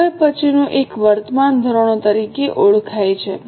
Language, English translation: Gujarati, Now the next one is known as current standards